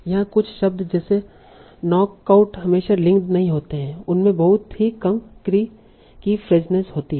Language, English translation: Hindi, Some words like here the knockout are not always linked, they have a very low creepishness